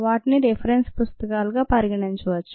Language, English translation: Telugu, two you can consider them as ah reference books